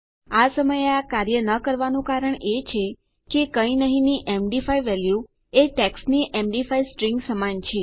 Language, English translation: Gujarati, The reason this is not working at the moment is, an md5 value of nothing is equal to an md5 string of text